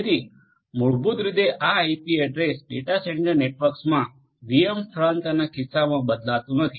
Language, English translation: Gujarati, So, basically this IP address does not change in the case of the VM migration in the case of data centre networks